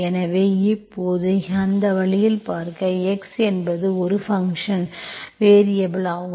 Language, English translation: Tamil, So now you view that way, the x is a dependent, dependent variable